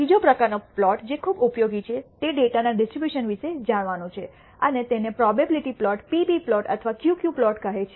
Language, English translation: Gujarati, The third kind of plot which is very useful is to know about the distribution of the data and this is called the probability plot the p p plot or the q q plot